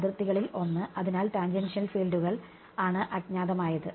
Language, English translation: Malayalam, One the boundary right; so, unknowns were tangential fields